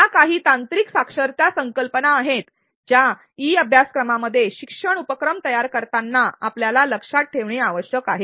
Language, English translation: Marathi, These are some of the technological literacy concepts that we need to keep in mind while designing learning activities in e learning